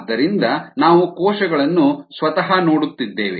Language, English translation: Kannada, therefore we are looking at cells themselves